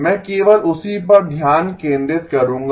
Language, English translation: Hindi, I will focus only on that